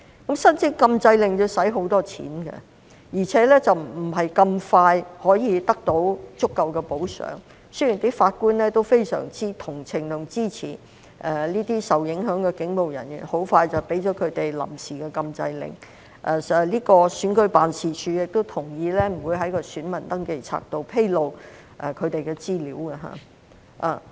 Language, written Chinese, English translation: Cantonese, 可是，申請禁制令需要花很多錢，而且不是很快可以得到足夠補救，儘管法官們相當同情和支持這些受影響的警務人員，很快便向他們發出了臨時禁制令，而選舉事務處亦同意不會在選民登記冊中披露他們的資料。, Nevertheless the application for an injunction order was costly and remedies were not promptly available although the judges were rather sympathetic towards and supportive of these affected police officers and soon issued them with temporary injunction orders and the Registration and Electoral Office agreed not to disclose their information in the registers of electors